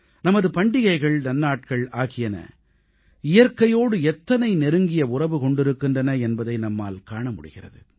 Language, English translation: Tamil, We can witness how closely our festivals are interlinked with nature